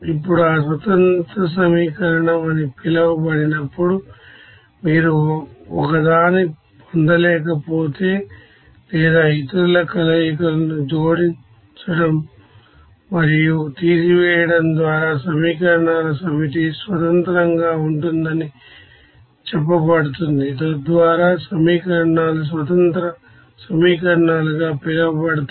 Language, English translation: Telugu, Now when it will be called that independent equation, a set of equations are said to be independent if you cannot derive one or by adding and subtracting combinations of the others, so that equations will be called as independent equations